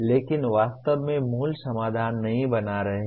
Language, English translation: Hindi, But not actually creating the original solutions